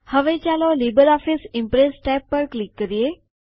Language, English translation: Gujarati, Now lets click on the LibreOffice Impress tab